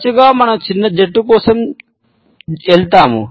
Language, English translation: Telugu, Often times, we go for the shortest team